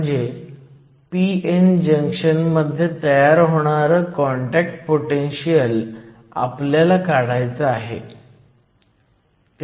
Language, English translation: Marathi, So, we want to calculate the contact potential that forms in a p n junction